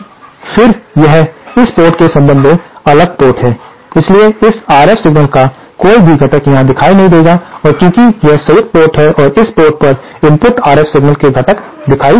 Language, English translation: Hindi, But then this is the isolated port with respect to this port, so no component of this RF signal will appear here and since this is the coupled port, a component of the input RF signal will appear at this port